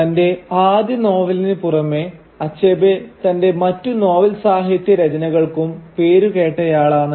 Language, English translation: Malayalam, So apart from his first novel, Achebe is also known for these other works of fiction